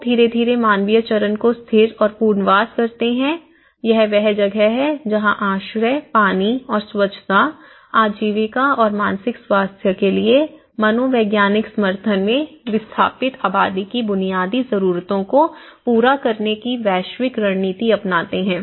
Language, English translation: Hindi, Once, people gradually stabilize and rehabilitation the humanitarian phase this is where the global strategies to cover basic needs of displaced population in shelter, water and sanitation, livelihood and also the psychological support for mental health